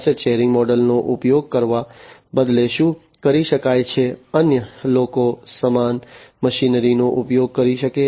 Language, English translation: Gujarati, Instead using the asset sharing model, what can be done is that other people can use the same machinery